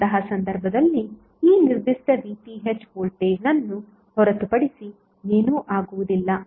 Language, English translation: Kannada, So in that case this particular voltage would be nothing but VTh